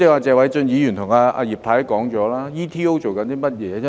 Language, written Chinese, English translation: Cantonese, 謝偉俊議員和葉太剛才已說了 ，ETO 在做甚麼？, Both Mr TSE and Mrs IP have just queried what the Hong Kong Economic and Trade Offices ETOs have been doing